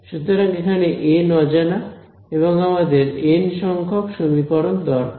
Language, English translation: Bengali, So, you there are n unknowns I need n equations right